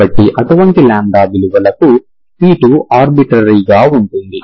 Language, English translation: Telugu, So for such lambda values, c2 can be arbitrary